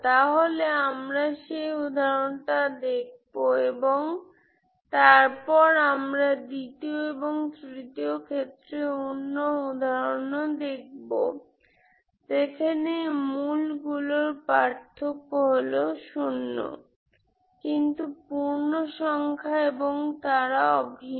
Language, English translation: Bengali, So we will look into that example and then we will see the other examples, these case 2 case 3, where the difference between the roots will be one is not integer, they are distinct but integer and they are same